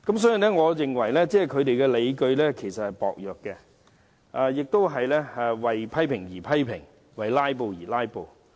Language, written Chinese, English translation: Cantonese, 所以，我認為他們批評的理據薄弱，只是為批評而批評，為"拉布"而"拉布"。, Therefore I think that the justifications for their amendments are lame . They only criticize for the sake of criticizing . They only filibuster for the sake of filibustering